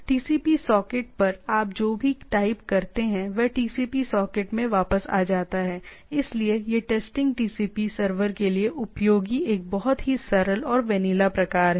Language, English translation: Hindi, Sends whatever you type on the TCP socket prints whatever comes backs to the TCP socket, so it is a very simple and vanilla type of things useful for test testing TCP servers